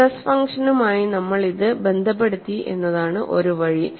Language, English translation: Malayalam, One way is we have related this to the stress function